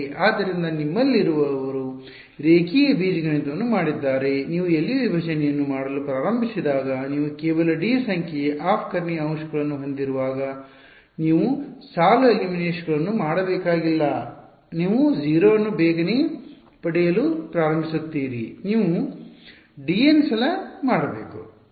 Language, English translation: Kannada, So, those of you have done linear algebra they you know that when you have only d number of off diagonal elements when you start doing LU decomposition, you do not have to do row eliminations many many times you start getting 0’s very quickly only d times you have to do